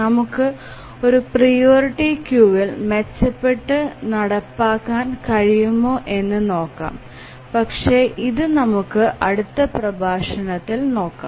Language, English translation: Malayalam, So, let's see whether we can have a better implementation than a priority queue but that we will look at the next lecture